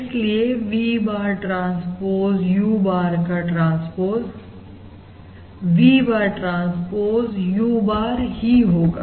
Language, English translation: Hindi, Therefore, what we have is we have V bar transpose U bar equal to V bar, transpose U bar, transpose equal to, basically, U bar transpose V bar